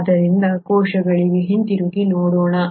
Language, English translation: Kannada, So letÕs come back to the cells